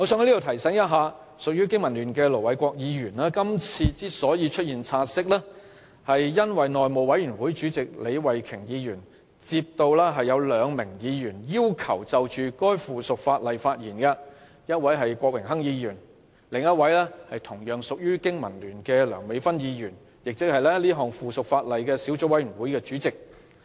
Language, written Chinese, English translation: Cantonese, 我在此提醒隸屬香港經濟民生聯盟的盧偉國議員，是項"察悉議案"由內務委員會主席李慧琼議員提出，原因是她接獲兩位議員的要求，擬就該項附屬法例發言，一位是郭榮鏗議員，另一位是同屬經民聯的梁美芬議員，即《〈2017年實習律師規則〉公告》小組委員會主席。, I would like to remind Ir Dr LO Wai - kwok a member of the Business and Professionals Alliance for Hong Kong BPA that the take - note motion was moved by House Committee Chairman Ms Starry LEE at the request of two Members intending to speak on the subsidiary legislation Mr Dennis KWOK and Dr Priscilla LEUNG who is also a BPA member and Chairman of the Subcommittee on Trainee Solicitors Amendment Rules 2017 Commencement Notice